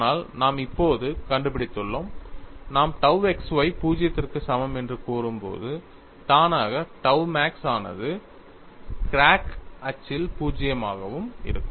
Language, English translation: Tamil, We have not proceeded from that perspective at all; but we are finding now, when you say tau xy equal to 0, automatically tau max is also 0 along the crack axis